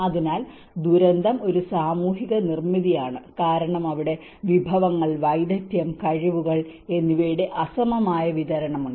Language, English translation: Malayalam, So, disaster is a social construct because there has been an unequal distribution of resources, skills, abilities